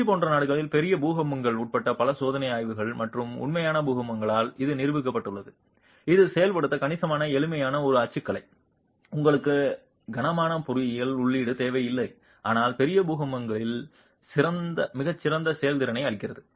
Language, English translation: Tamil, And it's demonstrated by several experimental studies and even actual earthquakes including large earthquakes in in countries like Chile that this is a typology that is significantly simple to execute you don't need heavy engineering input but gives extremely good performance in large earthquakes